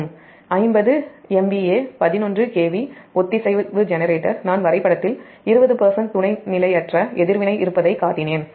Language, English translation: Tamil, say: fifty m v a eleven k v synchronous generator i showed the diagram has a sub transient reactance of twenty percent